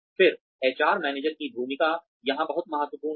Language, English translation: Hindi, Again, the role of the HR manager is very important here